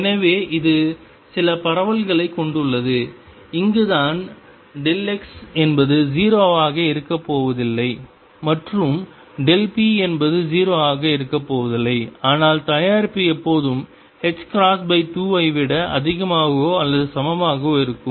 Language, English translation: Tamil, So, it has some spread and this is where delta x is not going to be 0, and delta p is not going to be 0, but the product will always be greater than or equal to h cross by 2